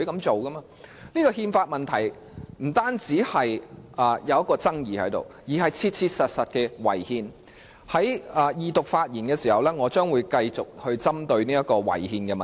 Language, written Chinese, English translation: Cantonese, 這憲法問題不僅存在爭議，而且切切實實地違憲，我將會在二讀發言時繼續談論這個違憲的問題。, This constitutional issue is not only controversial but also truly unconstitutional . I will continue to discuss this unconstitutional issue during the Second Reading debate on the Bill